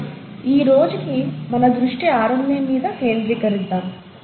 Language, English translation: Telugu, But for today, we’ll focus our attention on RNA